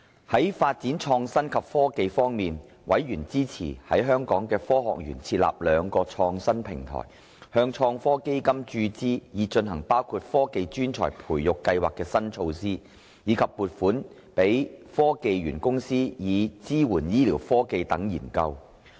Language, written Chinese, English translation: Cantonese, 在發展創新及科技方面，委員支持在香港科學園設立兩個創新平台，向創新及科技基金注資，以推行包括科技專才培育計劃的新措施，以及撥款予香港科技園公司，以支援醫療科技等研究。, On the development of innovation and technology members supported the setting up of two research clusters at the Hong Kong Science Park and the injection of funds into the Innovation and Technology Fund ITF so as to launch new initiatives including the Technology Talent Scheme and to provide funds to the Hong Kong Science and Technology Parks Corporation HKSTPC for supporting researches on among others health care technologies